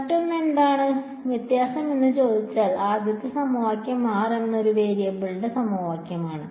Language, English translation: Malayalam, The other if ask you what is the difference the first equation is equation in only one variable r